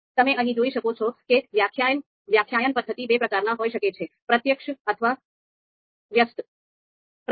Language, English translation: Gujarati, So you can see here a mode of definition there could be of two types direct or inverse